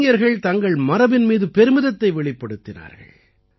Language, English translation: Tamil, The youth displayed a sense of pride in their heritage